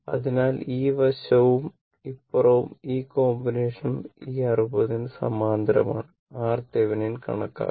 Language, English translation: Malayalam, So, this side this one and this side and all all these combination is parallel to your this 60 , this 60 and we will calculate equivalent your what you call R Thevenin, right